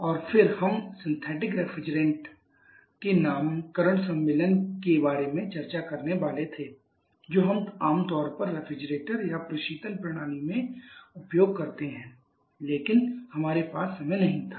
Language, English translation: Hindi, And then we are supposed to discuss about the naming convention of the synthetic refrigerants that we commonly use in refrigerators or innovation cycle systems